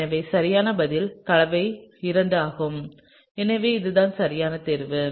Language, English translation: Tamil, So, therefore, the correct answer would be compound II; so, this is the choice, alright